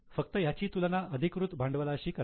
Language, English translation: Marathi, Just compare it with the authorized capital